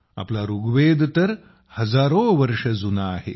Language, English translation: Marathi, Our thousands of years old Rigveda